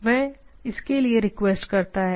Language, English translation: Hindi, And it requests for that